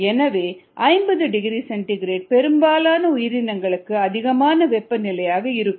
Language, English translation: Tamil, so fifty degree c is some what high for most organisms